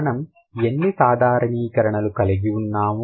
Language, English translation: Telugu, So, we have listed how many generalizations